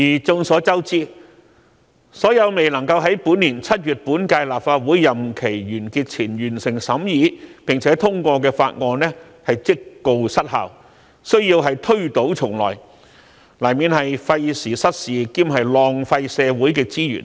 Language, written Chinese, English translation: Cantonese, 眾所周知，所有未能夠在本年7月本屆立法會任期完結前完成審議並通過的法案，屆時即告失效，需要推倒重來，這樣難免費時失事兼浪費社會資源。, As we are all aware all those bills which cannot be deliberated and endorsed before the end of this term of the Legislative Council in July this year will lapse and the procedures will have to start all over again which will inevitably result in the waste of time efforts and social resources